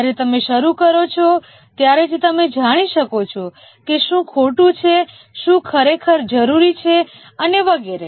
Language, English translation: Gujarati, Only when you start doing, then you can know that what is wrong, what is really required and so on